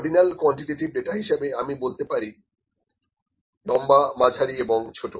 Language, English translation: Bengali, In ordinal data for qualitative example, I can say long medium small